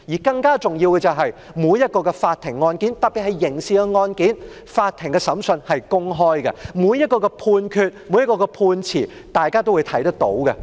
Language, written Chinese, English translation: Cantonese, 更重要的是，每一宗法庭案件，特別是刑事案件，法庭審訊應是公開的，每一項判決，大家均能看到。, More importantly the trial of every legal case particularly criminal case should be open and the judgment on every case should be made known to all people